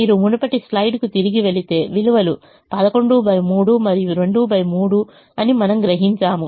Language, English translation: Telugu, if you go back to the previous slide, we will realize that the values are eleven by three and two by three